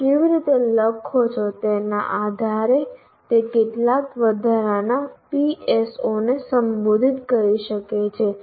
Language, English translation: Gujarati, Depending on how you write, it may address maybe additional PSOs